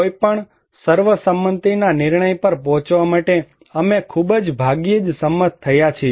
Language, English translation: Gujarati, We have very rarely agreed to reach any consensus decisions